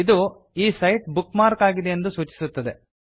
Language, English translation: Kannada, This indicates that this site has been bookmarked